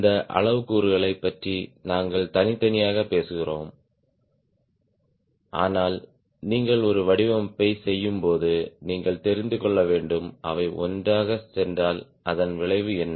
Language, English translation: Tamil, we talk about this parameter separately, but when you are doing a design you need to know if they go together what is the effect